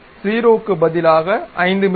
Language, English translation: Tamil, Instead of 0, let us give 5 mm